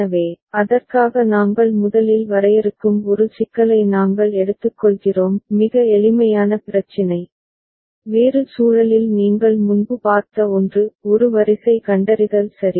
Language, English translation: Tamil, So, for that we take up we one problem which we first define very simple problem, something which you had seen before in a different context; a sequence detector right